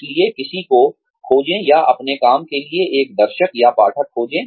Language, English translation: Hindi, So, find somebody, or find an audience, or readership, for your work